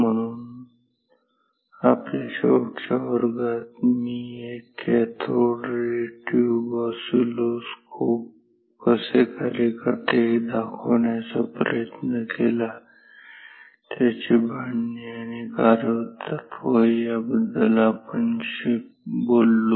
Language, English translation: Marathi, So, in our last class I tried to demonstrate how an cathode ray tube oscilloscope work, it is construction and working principle we talked about